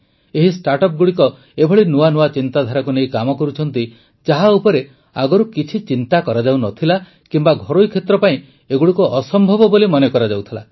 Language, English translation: Odia, All these startups are working on ideas, which were either not thought about earlier, or were considered impossible for the private sector